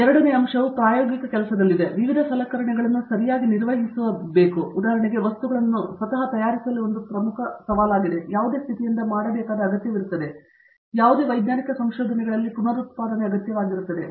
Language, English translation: Kannada, Second aspect is in the experimental work, where handling various equipment okay For example, making materials itself is a major challenge and that has to be made in certain condition so that, there is a reproducibility that is essential in any scientific research